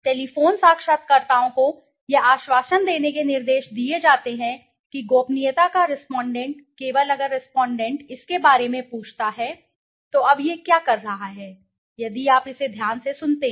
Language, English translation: Hindi, Telephone interviewers are instructed to assure that the respondent of confidentiality only if the respondent asks about it, now what is it saying, if you listen to it carefully